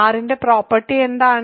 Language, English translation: Malayalam, And, what is the property of r